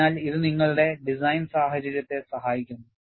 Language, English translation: Malayalam, So, this helps in your design scenario